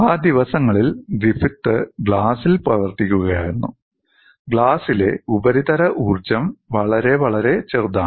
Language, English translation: Malayalam, See, in those days Griffith was working on glass and surface energy in glass was very very small